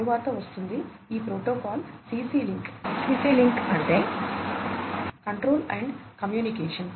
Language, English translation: Telugu, Next comes, this protocol the CC link CC stands for Control and Communication